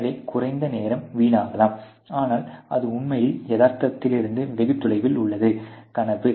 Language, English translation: Tamil, So, that less time can be wasted, but that actually a far fetched dream from reality